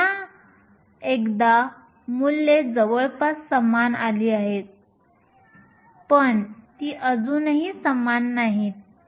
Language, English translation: Marathi, Once again the values are closer but they are still not the same